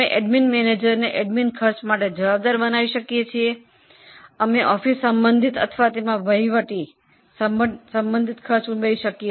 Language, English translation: Gujarati, We can make admin manager responsible for admin costs and go on adding the costs related to office or related to administration